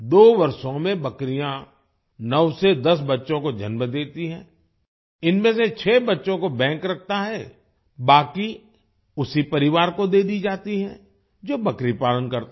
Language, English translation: Hindi, Goats give birth to 9 to 10 kids in 2 years, out of which 6 kids are kept by the bank, the rest are given to the same family which rears goats